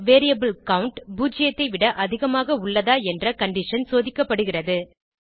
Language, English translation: Tamil, Then the condition whether the variable count is greater than zero, is checked